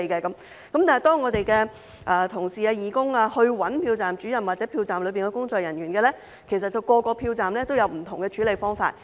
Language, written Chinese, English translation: Cantonese, 但是，當我們的同事、義工找投票站主任或投票站的工作人員時，其實每個投票站也有不同的處理方法。, However when our colleagues and volunteers approached the Presiding Officer or polling staff actually each polling station had a different way of handling the matter